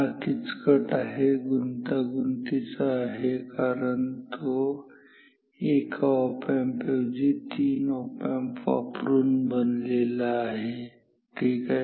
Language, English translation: Marathi, It is complicated because it is made up of not just 1 op amp, it is made up of 3 op amps ok